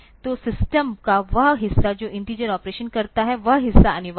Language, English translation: Hindi, So, the part of the system that does the integer operations, so that part is mandatory